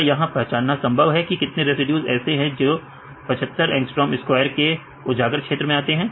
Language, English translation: Hindi, Now is it possible to identify how many residues which are in the exposed region with a condition of 75 angstrom square